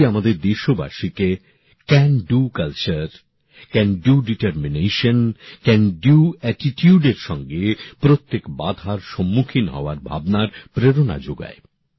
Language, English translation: Bengali, It also shows the spirit of our countrymen to tackle every challenge with a "Can Do Culture", a "Can Do Determination" and a "Can Do Attitude"